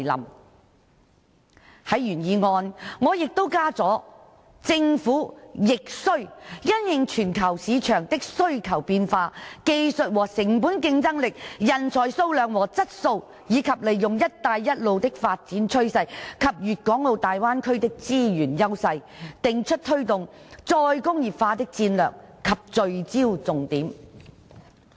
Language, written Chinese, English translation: Cantonese, 我在原議案加上"政府亦須因應全球市場的需求變化、技術和成本競爭力、人才數量和質素，以及利用'一帶一路'的發展趨勢及粵港澳大灣區的資源優勢，訂出推動'再工業化'的戰略及聚焦重點"。, I have added the following words to the original motion in the light of demand changes in the global market competitiveness in technology and cost quantity and quality of talent and capitalizing on the development trend of One Belt One Road and the resources advantages of the Guangdong - Hong Kong - Macao Bay Area the Government must also formulate strategies and major focuses for promoting re - industrialization